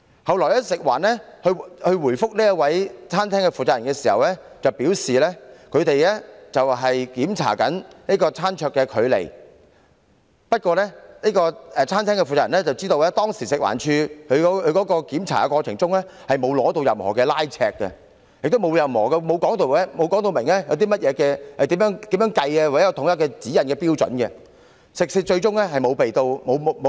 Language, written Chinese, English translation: Cantonese, 及後，食環署在回覆餐廳負責人的查詢時表示，他們當天的目的是要檢查餐桌距離，但以餐廳負責人所知，食環署人員在當天的檢查過程中從來沒有使用任何拉尺進行量度，也沒有說明要如何計算或有否統一指引及標準，食肆最終更沒有受到檢控。, Later when answering enquiries from the shop owner FEHD said that the purpose of the operation that day was to check the distances maintained between dining tables in the restaurant but to the knowledge of the shop owner FEHD staff did not measure the distances with a measuring tape during the inspection and they did not specify the methods and the standardized guidelines and criteria adopted to determine the distance . Moreover no prosecution was initiated against the restaurant at the end